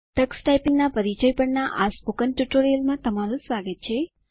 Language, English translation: Gujarati, Welcome to the Spoken Tutorial on Introduction to Tux Typing